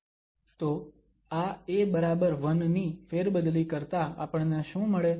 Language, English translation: Gujarati, So, substituting this a equal to 1 what we get